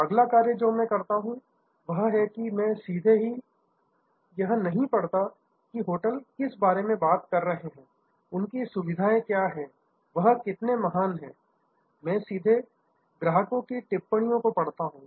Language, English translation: Hindi, The next thing that I do is I straight away, I do not read what the hotels are talking about, their facilities are, how great they are, I straight away read the comments from other customers